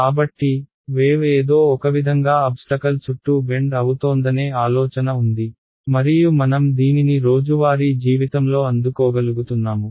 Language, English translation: Telugu, So, there is some idea that the wave is somehow bending around obstacles and we are able to receive it this is in day to day life